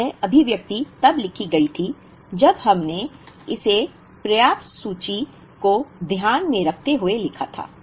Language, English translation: Hindi, Now, this expression was written, when we wrote it for the ending inventory in mind